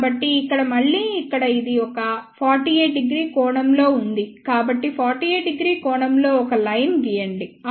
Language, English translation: Telugu, So, again this one here is at an angle of 48 degree so, draw a line at an angle of 48 degree then 1